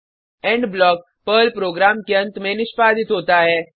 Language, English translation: Hindi, These blocks get executed at various stages of a Perl program